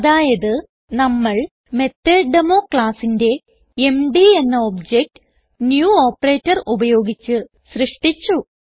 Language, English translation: Malayalam, So we have created an object mdof the class MethodDemo using the New operator